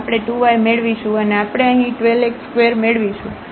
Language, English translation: Gujarati, So, we will get 2 y and we will get here 12 x square